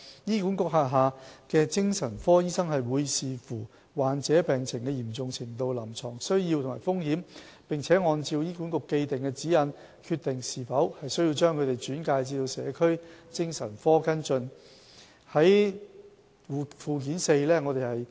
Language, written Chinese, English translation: Cantonese, 醫管局轄下的精神科醫生會視乎患者病情的嚴重程度、臨床需要和風險，並按照醫管局既定的指引，決定是否需要將他們轉介至社區精神科跟進。, Psychiatric doctors of HA will depending on patients conditions clinical needs and risk levels decide whether patients should be referred to the Community Psychiatric Services for follow - up treatment according to the established guidelines of HA